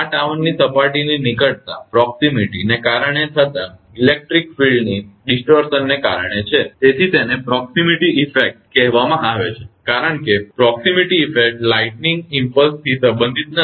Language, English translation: Gujarati, This is due to the electric field distortion caused by the proximity of the tower surfaces, and is called a proximity effect since the proximity effect is not related to the lightning impulses